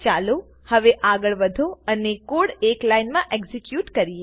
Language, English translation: Gujarati, Let us now proceed and execute this single line of code